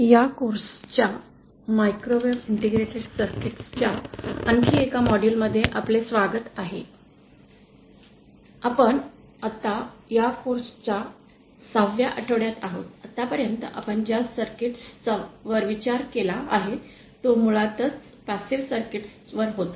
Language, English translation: Marathi, Welcome to another module of this course microwave integrated circuits, we are now in week 6 of this course, so far all the circuits that we had considered were basically passive circuits